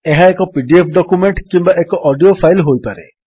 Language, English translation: Odia, It could be a PDF document or an audio file